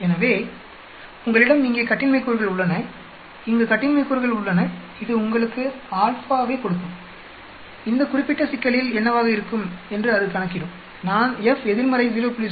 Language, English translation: Tamil, So, you have the degrees of freedom here, degrees of freedom here and it will give you the given the alpha, it will calculate what will be the so in this particular problem if I say F inverse 0